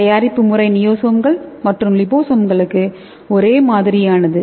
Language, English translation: Tamil, So the preparation method and everything is same for niosomes or liposomes